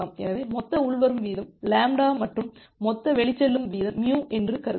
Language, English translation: Tamil, So, assume that total incoming rate is lambda and total outgoing rate is mu